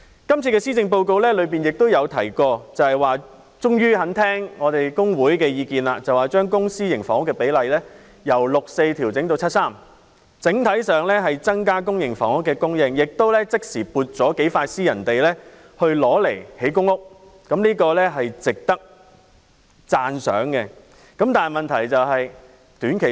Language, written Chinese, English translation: Cantonese, 施政報告顯示行政長官這次終於願意聆聽工會的意見，把公私營房屋比例由 6：4 調整至 7：3， 整體上增加公營房屋供應，即時撥出數幅私人土地興建公屋，這是值得讚賞的。, The Policy Address shows that the Chief Executive has finally taken the views of trade unions on board by revising the public - private housing split from 6col4 to 7col3 and increasing the overall supply of PRH housing by allocating a few private sites for the construction of PRH housing . These initiatives are commendable